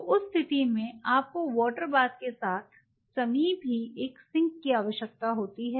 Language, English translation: Hindi, So, in that case you needed to have a sink along with a water bath adjacent to it